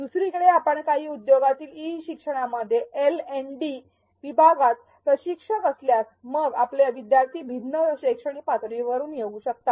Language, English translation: Marathi, On the other hand if you are a trainer in the LND division in some e learning in some industry then your learners may come with varying educational levels